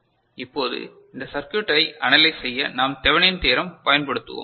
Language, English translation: Tamil, Now, how we analyze this circuit for which we use what is called Thevenin’s Theorem right